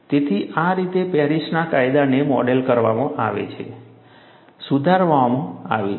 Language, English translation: Gujarati, So, this is how Paris law is modeled, modified